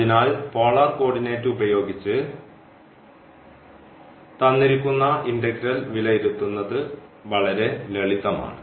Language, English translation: Malayalam, So, can using this polar coordinate, this is much simpler to evaluate this